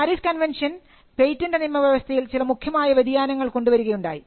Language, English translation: Malayalam, The PARIS convention created certain substantive changes in the patent regime